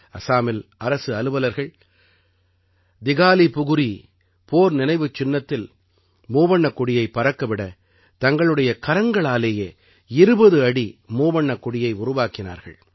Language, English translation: Tamil, In Assam, government employees created a 20 feet tricolor with their own hands to hoist at the Dighalipukhuri War memorial